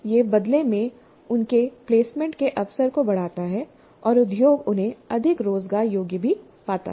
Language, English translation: Hindi, So this in turn enhances their placement opportunity and industry also finds them to be more employable